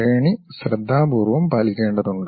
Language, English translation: Malayalam, The hierarchy has to be carefully followed